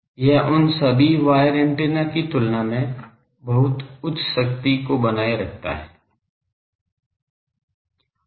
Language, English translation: Hindi, It can, sustain very very high power, compared to all those wire antennas